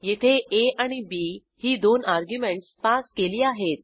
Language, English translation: Marathi, Here we have passed two arguments as a and b